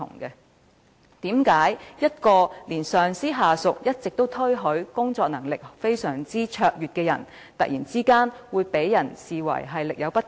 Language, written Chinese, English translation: Cantonese, 為何一直備受上司、下屬推許工作能力非常卓越的人員，會被突然視為力有不逮？, How come an officer who has always been highly acclaimed by her supervisors and subordinates for her unsurpassed ability was suddenly assessed as failing to perform up to the required standard?